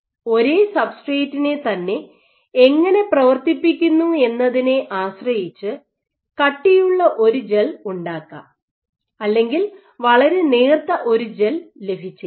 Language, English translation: Malayalam, So, what depending on how you are doing for the same substrate you might make a gel which is this thick or you might get a gel which is very thin